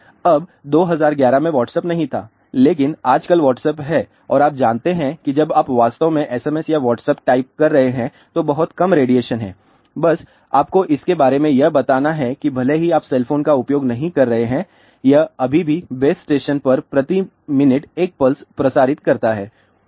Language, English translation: Hindi, Now, in 2011 Whatsapp was not there, but nowadays Whatsapp is there and you know when you are actually typing SMS or Whatsapp there is a very little radiation, ah just to tell you that even if you are not using cell phone it is still transmits about 1 pulse per minute to the base station